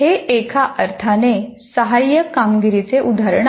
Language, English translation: Marathi, That is in some sense assisted performance